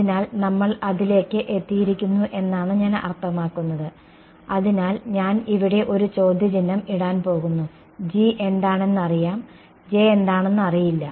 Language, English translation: Malayalam, So, I mean we have come to that; so, I am going to put a question mark over here G is known J is not known ok